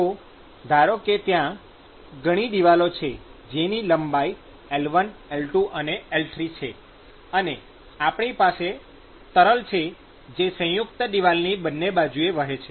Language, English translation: Gujarati, So, if the length is L1, L2 and L3; and we have fluid which is flowing on either side of the Composite wall